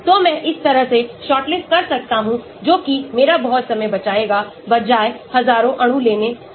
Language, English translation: Hindi, so that way I can shortlist that saves me a lot of time instead of taking in the entire thousands of molecule